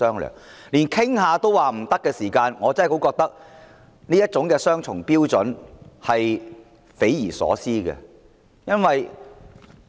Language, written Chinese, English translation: Cantonese, 若說連商討也不可以，我認為這種雙重標準是匪夷所思的。, If it is said that not even negotiation is allowed I find this double standard unimaginably queer